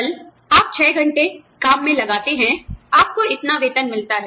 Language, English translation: Hindi, Tomorrow, you put in six hours of work, you get, this much salary